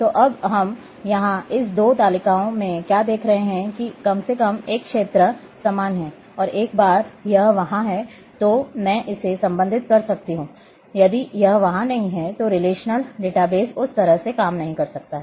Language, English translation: Hindi, So, now, what we are seeing here in this two tables that at least one field is common, and once it is there then I can relate it if it is not there then relational database may not work in that way